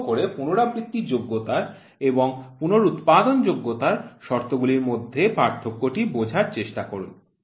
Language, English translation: Bengali, Please try to understand the difference between repeatability and reproducibility conditions